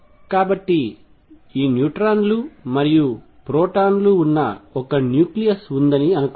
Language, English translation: Telugu, So, suppose there is a nucleus in which these neutrons and protons neutrons and protons are there